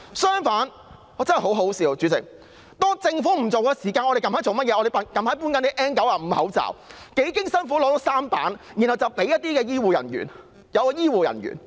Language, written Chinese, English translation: Cantonese, 主席，我真的覺得很可笑，政府不派口罩，我們四出搜羅 N95 口罩，幾經辛苦取得3批，然後分發給醫護人員。, President I truly find it ridiculous . The Government refuses to give any face masks to the public . We tried all sources and found three batches of N95 face masks